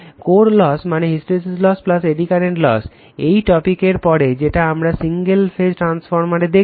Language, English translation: Bengali, Core loss means hysteresis loss plus eddy current loss right, we will see later in the single phase transformer after this topic